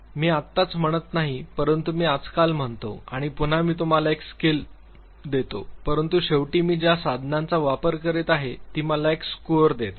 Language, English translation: Marathi, So, I do not say right now, but I say nowadays and again I give you a scale, but then finally, the tool that I am using it gives me a set of score